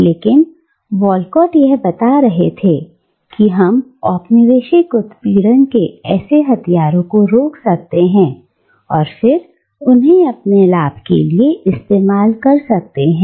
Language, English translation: Hindi, But, what Walcott is showing that we can take hold of such weapons of colonial oppression and we can then use them to our own benefit